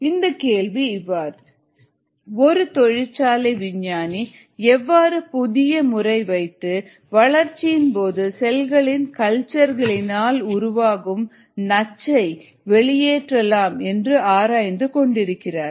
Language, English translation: Tamil, the question reads is: follows and industry scientist is studying a novel method of disposing a toxin that results from cells culture during the course of cultivation